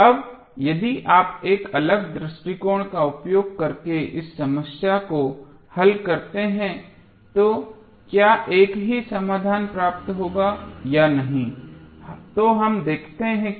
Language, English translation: Hindi, Now, if you solve this problem using different approach whether the same solution would be obtained or not let us see